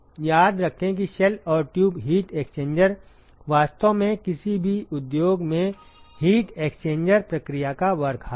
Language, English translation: Hindi, Remember that shell and tube heat exchanger is actually the workhorse of heat exchange process in any industry